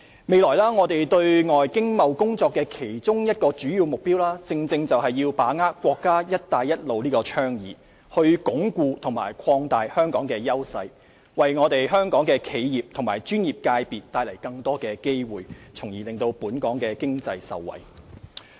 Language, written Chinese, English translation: Cantonese, 未來我們對外經貿工作的其中一個主要目標，正是要把握國家"一帶一路"倡議，鞏固和擴大香港的優勢，為香港的企業及專業界別帶來更多的機會，從而令本港經濟受惠。, One of our major objectives in handling external economic and trade matters in the future is to seize the opportunities of the Belt and Road Initiative of our country as well as reinforce and extend Hong Kongs advantages to bring more opportunities for the enterprises and professional sectors of Hong Kong so as to benefit our economy